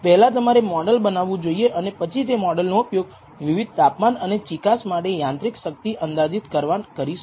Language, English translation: Gujarati, First you develop a model then you can use the model to predict mechanical strength given temperature viscosity